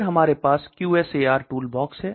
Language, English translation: Hindi, Then we have QSAR tool box